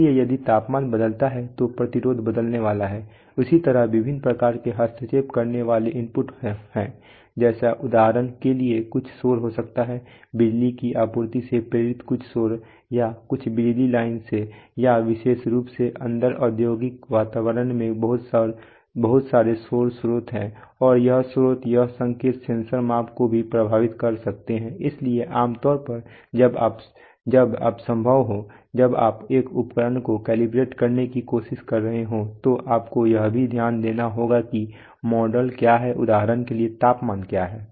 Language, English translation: Hindi, So if the temperature varies then the resistance is going to change, similarly there are various kinds of interfering inputs like for example there may be some noise, there is some noise induced from a power supply, or from some power line, or especially in the in the industrial environment there are plenty of noise sources and this sources, this signals can also affect the sensor measurements, so generally when you to the extent possible, when you are trying to calibrate an instrument you will have to also note what are the model for example what is the temperature